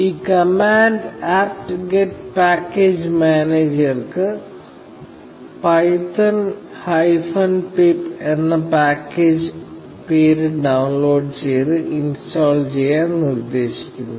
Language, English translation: Malayalam, Now, this command instructs the apt get package manager to download and install the package name python hyphen pip